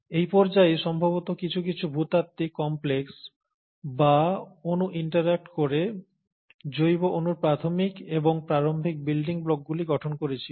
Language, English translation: Bengali, And, it is during this phase that probably some sort of geological complexes or molecules would have interacted to form the initial and the early very building blocks of organic molecules